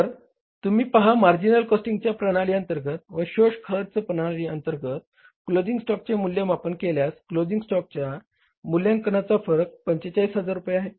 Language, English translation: Marathi, So you see why means while valuing the closing stock, the difference of the valuation of the closing stock under marginal costing and the absorption costing, the difference is of 45,000 rupees